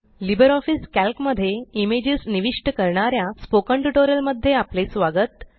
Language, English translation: Marathi, Welcome to Spoken tutorial on Inserting images in LibreOffice Calc